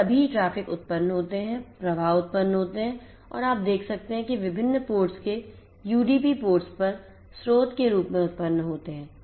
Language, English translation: Hindi, So, all the traffics are generated the flows are generated and you can see the finish on UDP ports of different ports are generated took has source